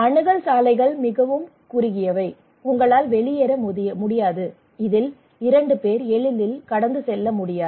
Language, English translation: Tamil, Access roads are very narrow; you cannot evacuate, two people cannot pass easily from this one